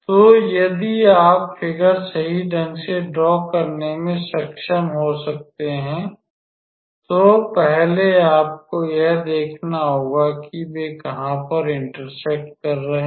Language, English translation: Hindi, So, if you can be able to draw the figure correctly then first you have to notice where are they intersecting